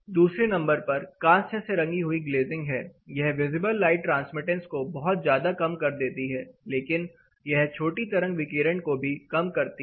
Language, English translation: Hindi, Number 2 is a bronze tinted glazing, it cuts down drastically on the light visible light transmittance, but it also cuts little bit on here shortwave radiations